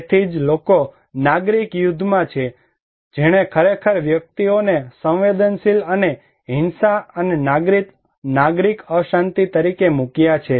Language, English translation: Gujarati, So, people who are at civil war that really put the individuals as a vulnerable and violence and civil unrest